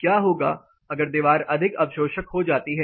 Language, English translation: Hindi, What if the wall gets more absorptive